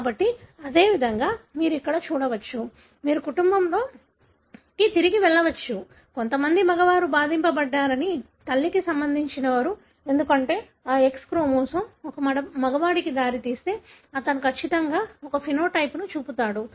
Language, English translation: Telugu, So, likewise you can see here, you can go back in the family you would find some of the males are affected, who are related to the mother because if that X chromosome results in a male, then certainly he would show a phenotype